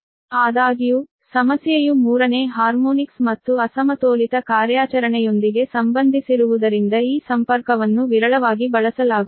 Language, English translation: Kannada, however, because of the, because of the, your problem is associated with the third harmonics and unbalanced operation